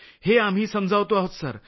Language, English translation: Marathi, We explain this Sir